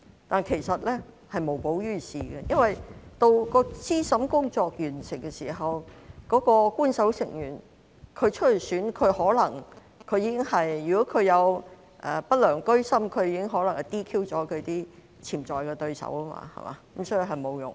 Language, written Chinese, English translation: Cantonese, 但是，這是無補於事的，因為到資審工作完成的時候，如果那位欲參選的官守成員居心不良，可能已 "DQ" 了其潛在對手，所以是沒有用的。, However this would not help because by the time the review was completed if the official member who wanted to run in the election had an unscrupulous intention he might have disqualified his potential opponents already . Hence it would be useless